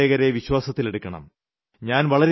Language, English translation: Malayalam, We shall have to reassure the taxpayer